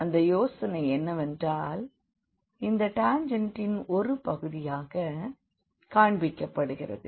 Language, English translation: Tamil, So, the idea is that here this is just shown this part of the tangent